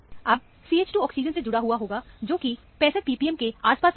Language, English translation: Hindi, Now, the CH 2 which is attached to the oxygen, will come around 65 p p m or so